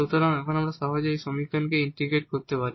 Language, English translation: Bengali, So, now this we can integrate